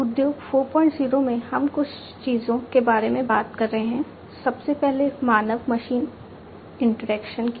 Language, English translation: Hindi, 0 we are talking about few things, first of all human machine interaction